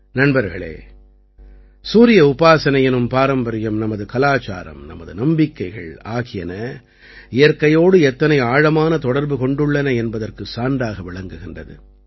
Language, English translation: Tamil, Friends, the tradition of worshiping the Sun is a proof of how deep our culture, our faith, is related to nature